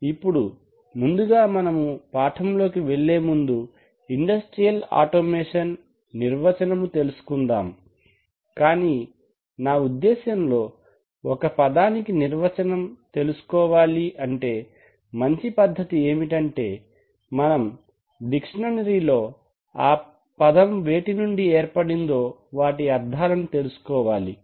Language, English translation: Telugu, Now before we actually plunge into the lesson let us first of all define industrial automation and my experience says that a very good way of defining anything is to, is to go to, and go to a good dictionary and try to find out the meanings of the words which constitute the term